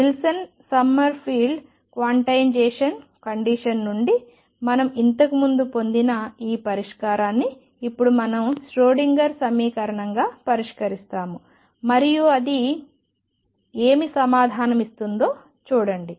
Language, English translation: Telugu, And this solution we have already obtain earlier from Wilson Summerfield quantization condition now we are going to solve it is Schrödinger equation and see what answer it gives